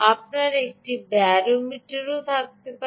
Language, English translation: Bengali, you can also have a barometer